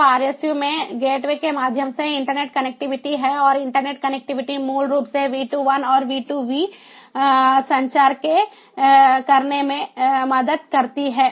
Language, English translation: Hindi, so rsu has the internet connectivity via the gateway, and that internet connectivity basically helps to have v two i and v two v communication